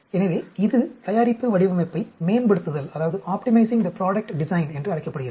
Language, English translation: Tamil, So, that is called the optimizing the product design